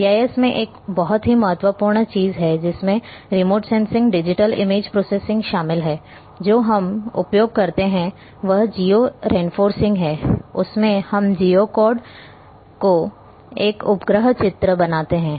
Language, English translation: Hindi, One very important thing in GIS regularly including remote sensing digital image processing we do is geo referencing; we do geo code a satellite image